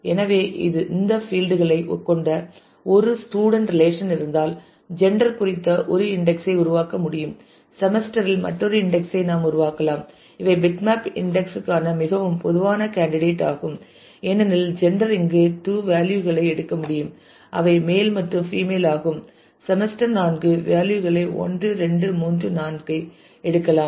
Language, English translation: Tamil, So, if there is a student relation which has these fields I can we can create an index on gender; we can create another index on semester these are very typical candidate for bitmap index because gender can take 2 values here male and female semester can take 4 values 1, 2, 3, 4